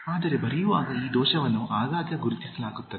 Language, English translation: Kannada, But while writing, this error is noted frequently